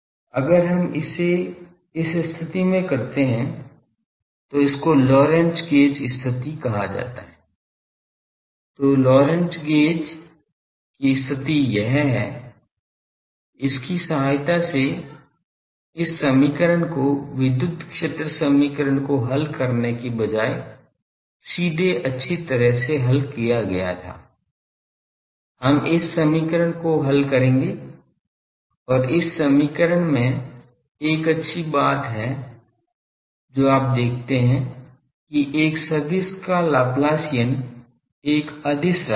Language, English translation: Hindi, So, Lorentz gauge condition is this with this we come to our, so these equation was well solved instead of solving the electric field equation directly, we will solve this equation and this equation has a beauty you see that Laplacian of a vector that is a scalar